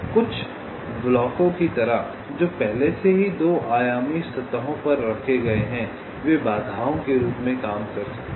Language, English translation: Hindi, like some of the blocks that are already placed on the two dimensional surface, they can work as obstacles